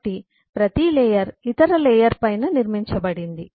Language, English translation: Telugu, so each layer is built on top of other layer